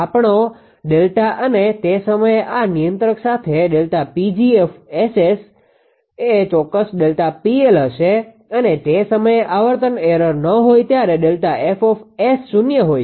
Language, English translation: Gujarati, Our delta and with this controller at the time delta P g S; will be exactly delta P L it will because frequency at the time there is no frequency error delta F S S is 0